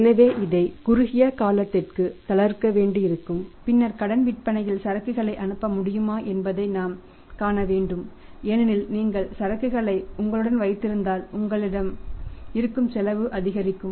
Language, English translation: Tamil, So, we will have to relax it for some period of time some short term changes and then we will have to see that whether it is possible to pass on the inventory on the credit sales because if you keep the inventory with you, you will have to increase the cost